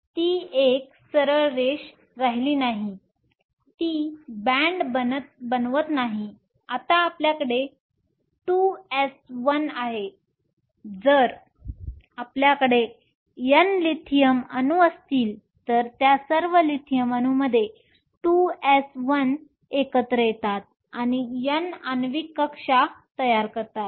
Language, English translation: Marathi, So, its remains a straight line it does not form a band now you have the 2 s 1 if you have N Lithium atoms the 2 s 1 of all of those Lithium atoms comes together to form N molecular orbitals